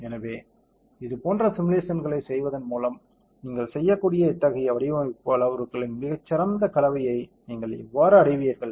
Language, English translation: Tamil, So, how do you arrive at a very good combination of such design parameters that you can do by doing such simulations